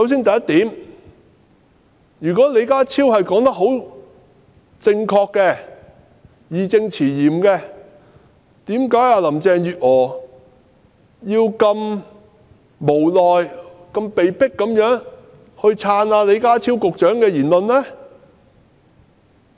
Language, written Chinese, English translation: Cantonese, 第一，如果李家超所言甚是，是義正詞嚴的，為何林鄭月娥聽起來彷如是無奈地被迫支持李家超局長的說法呢？, First if John LEEs assertion is true and justifiable why did Carrie LAM sound as though she could only support the assertion of Secretary John LEE without any alternatives?